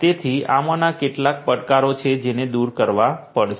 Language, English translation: Gujarati, So, these are some of these challenges that have to be overcome